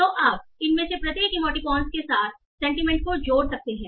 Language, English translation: Hindi, So you can associate sentiments with each of these emoticons